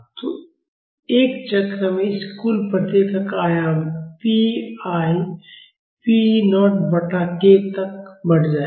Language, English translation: Hindi, So, in one cycle, the amplitude of the this total response will increase by pi p naught by k